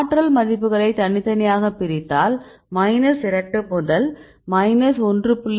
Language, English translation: Tamil, So, we have the energy values we divide the different bins for example, minus 2 to minus 1